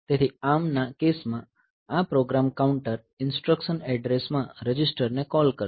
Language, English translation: Gujarati, So, in case of ARM, so, is this program counter will call instruction address register